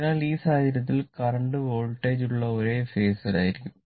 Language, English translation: Malayalam, So, in this case, current will be in phase with voltage